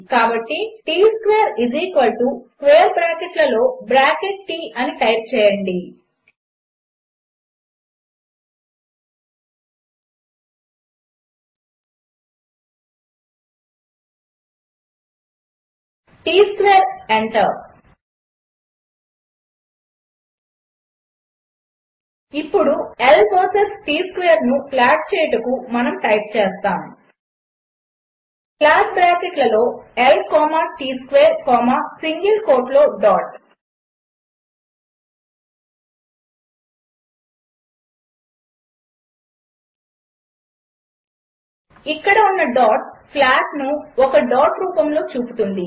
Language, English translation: Telugu, So type Tsquare=square withinbracket T Tsqaure enter Now to plot L versus T square, we will simply type plot within bracket L comma Tsquare comma within single quote dot Here single quote dot displays the plot in a dot pattern